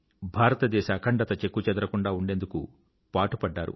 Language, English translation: Telugu, He always remained engaged in keeping India's integrity intact